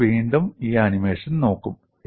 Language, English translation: Malayalam, We will again look at this animation